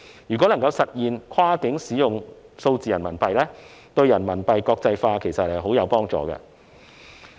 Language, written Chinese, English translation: Cantonese, 如果能夠實現跨境使用數字人民幣，對人民幣國際化其實十分有幫助。, If cross - boundary use of digital RMB is made possible it will certainly be of great help to RMB internalization